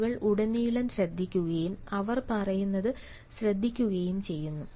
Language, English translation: Malayalam, people listen and they pay attention to what is being said